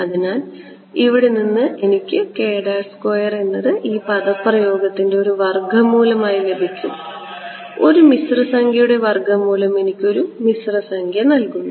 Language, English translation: Malayalam, And so, from here I can get k prime as a square root of this expression square root of a complex number is going to give me a complex number ok